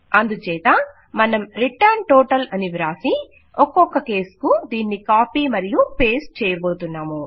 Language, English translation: Telugu, So we are going to say return total and we are going to copy that and paste it down for each case